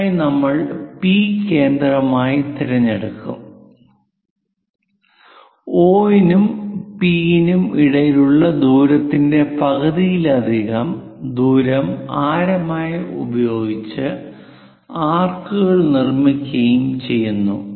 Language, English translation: Malayalam, For that we pick P as centre more than the half of the distance between O and P make arcs on both the sides